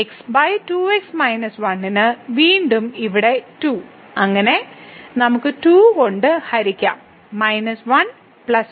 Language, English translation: Malayalam, So, over 2 minus 1 and then again here the 2 so, we can divided by 2 and here minus 1 plus 1